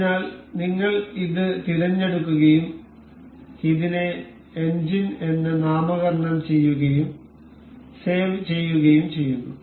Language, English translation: Malayalam, So, we will select this we will name this as engine and we will save